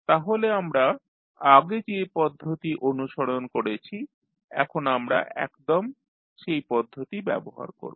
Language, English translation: Bengali, Now, what procedure we followed previously we will just use that procedure